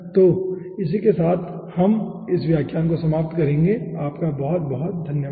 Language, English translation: Hindi, so with this we will be ending this lecture